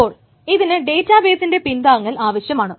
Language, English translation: Malayalam, Then it may require of course it will require database support